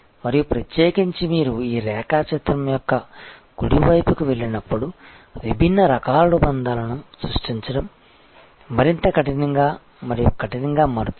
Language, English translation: Telugu, And particularly as you go towards the right side of this diagram, it becomes tougher and tougher to create the bonds of different types